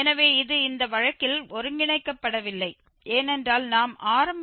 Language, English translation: Tamil, So, it is not converging in this case because our initial guess we have taken 0